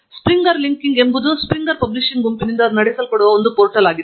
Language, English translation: Kannada, SpringerLink is a portal run by the Springer publishing group